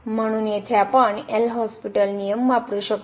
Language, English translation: Marathi, So, we can use the L’Hospital rule